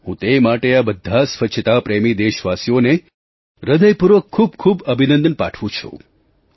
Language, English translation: Gujarati, I heartily congratulate all these cleanlinessloving countrymen for their efforts